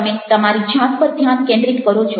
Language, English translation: Gujarati, you are focused on ourselves